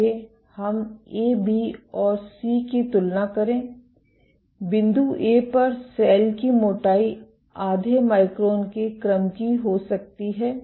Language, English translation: Hindi, Let us compare the points A, B and C; at point A, the thickness of the cell might be of the order of half micron